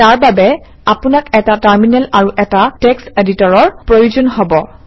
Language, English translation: Assamese, For that you need a Terminal and you need a Text Editor